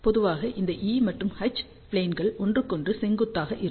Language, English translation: Tamil, Generally speaking this e and H planes are perpendicular to each other